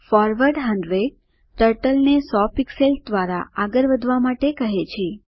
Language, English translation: Gujarati, forward 100 commands Turtle to move forward by 100 pixels